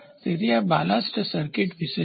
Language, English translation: Gujarati, So, this is about the ballast circuit